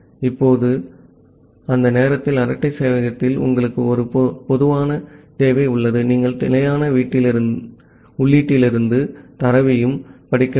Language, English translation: Tamil, Now, at that time in a chat server you have a typical requirement that you need to also read data from standard input